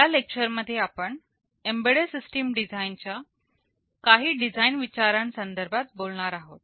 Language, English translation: Marathi, In this lecture we shall be talking about some of the design considerations in embedded system design